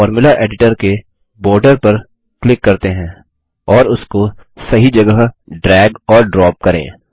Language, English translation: Hindi, Let us click on the Formula Editor border and drag and drop to the right to make it float